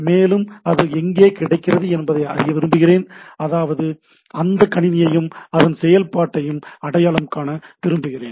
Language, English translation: Tamil, And then I want to know that where it is available; that means, I want to identify the machine and also identify the process in that machine, right